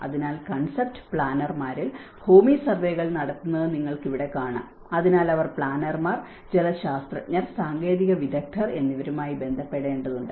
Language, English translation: Malayalam, So, like that here you can see that carrying out land surveys in concept planners, so they have to relate with the planners, hydrologist and the technical